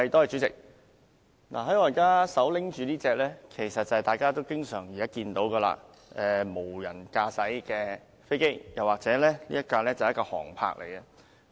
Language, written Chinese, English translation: Cantonese, 主席，我現在手持的是大家經常看到的無人駕駛飛機或所謂的"航拍機"。, President I am now holding an unmanned aircraft that people often see or a drone as we call it